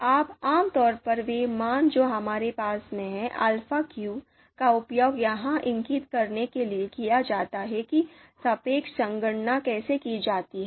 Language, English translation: Hindi, Now typically the values that we have in alpha q, they are used to compute the you know they are there to indicate the relative how the relative computation is to be done